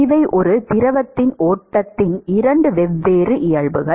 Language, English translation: Tamil, So, there are two classes, these are the two different nature of flow of a fluid